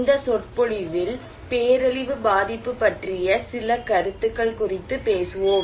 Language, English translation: Tamil, This lecture, we will talk on disaster vulnerability, some concepts